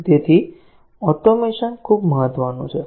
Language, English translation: Gujarati, And therefore automation is very important